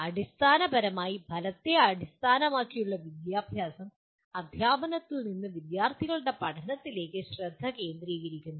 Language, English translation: Malayalam, Fundamentally, Outcome Based Education shifts the focus from teaching to student learning